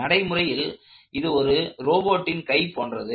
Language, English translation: Tamil, In reality these could have been arms of a robot